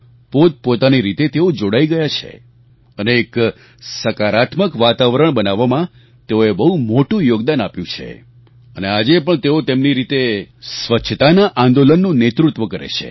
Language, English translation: Gujarati, They have made a big contribution in creating a positive environment and are leading the Cleanliness Campaign in their own ways